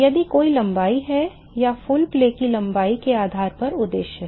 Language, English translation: Hindi, If there are any length or based on the length of the full play that is the objective